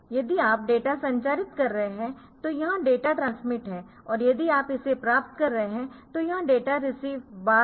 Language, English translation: Hindi, So, if you are transmitting the data then it is data transmit data transmit and you are receiving the data receive bar